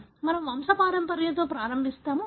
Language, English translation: Telugu, So, we will start with the pedigree